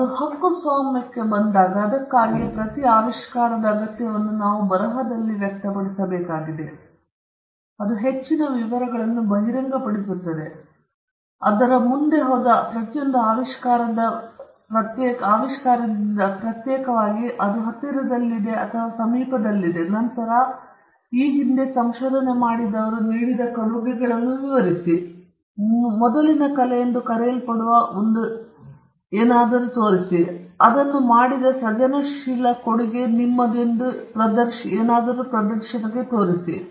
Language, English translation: Kannada, When it comes to patent, that is why we have a requirement of every invention to be expressed in writing, disclosed in great detail, differentiating itself with every other invention that went before it, which is close to it or proximate to it, and then, explaining the contribution made by the inventor with regard to what has gone before; what has gone before is generally referred to by a term called the prior art, and then, demonstrating what is the inventive contribution that he made